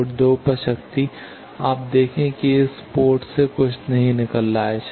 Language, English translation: Hindi, Power at port 2, you see nothing is coming out from this port 2